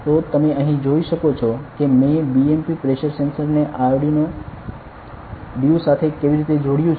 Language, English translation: Gujarati, So, you can see here I have connected the BMP pressure sensor to the Arduino due ok